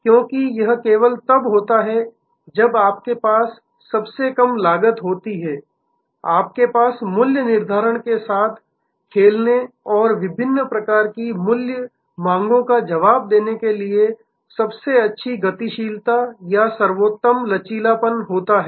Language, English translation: Hindi, Because, it is only when you have the lowest costs, you have the best maneuverability or the best flexibility to play with pricing and respond to different types of price demands